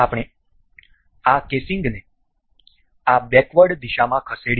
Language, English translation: Gujarati, We will move this casing in this backward direction